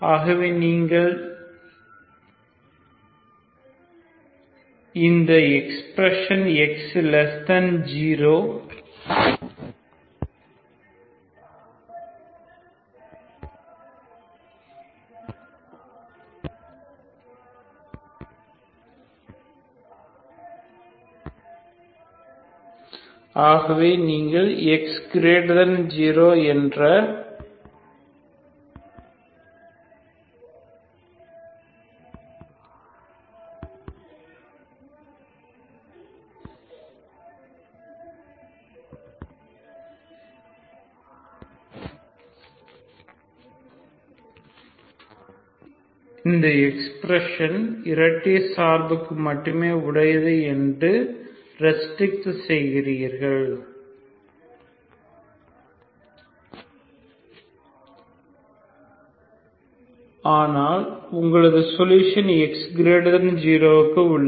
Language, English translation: Tamil, So you restrict this this is actually this expression is valid for even x negative but your solution is only for x positive, okay